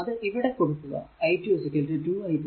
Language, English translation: Malayalam, So, put here i 2 is equal to 2 i 3